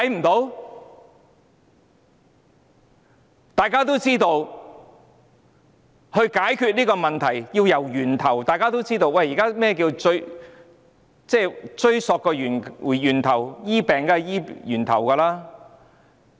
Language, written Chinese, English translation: Cantonese, 大家也知道，解決這問題要從源頭着手，治病當然要追溯源頭，要從源頭開始治理。, As we all know the problem has to be solved at source and of course treating an illness requires finding the root cause and it is necessary to begin treatment at the root